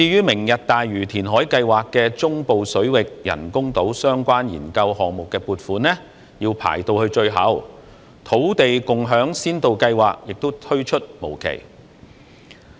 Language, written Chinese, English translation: Cantonese, "明日大嶼"填海計劃的中部水域人工島相關研究項目撥款要排到最後，土地共享先導計劃亦推出無期。, Funding for the studies related to artificial islands in the central waters under the Lantau Tomorrow reclamation project was placed as the last item on the agenda . The Land Sharing Pilot Scheme was also postponed indefinitely